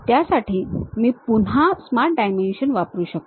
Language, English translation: Marathi, For that again I can use smart dimension